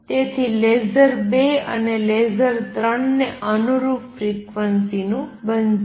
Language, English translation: Gujarati, So, laser is going to be of the frequency corresponding to level 2 and level 3